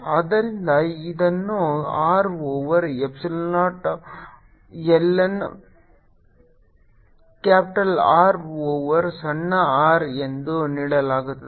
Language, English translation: Kannada, this is given by capital r over epsilon naught l n capital rover small r